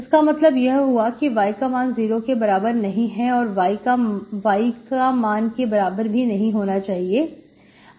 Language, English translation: Hindi, So that means y is not equal to 0, y should not be equal to1